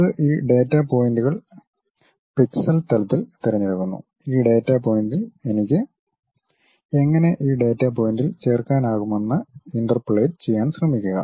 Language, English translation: Malayalam, It picks these data points at pixel level, try to interpolate how I can really join this data point that data point